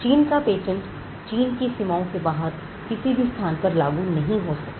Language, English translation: Hindi, A Chinese patent cannot be enforced in any other place beyond the boundaries of China